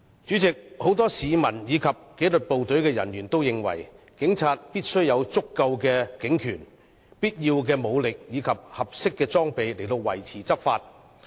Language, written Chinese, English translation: Cantonese, 主席，很多市民和紀律部隊的人員也認為，警察必須有足夠的警權、必要的武力和合適的裝備以維持執法。, President many members of the public and disciplined forces are of the view that the Police must have adequate authority necessary force and proper equipment to maintain and enforce the law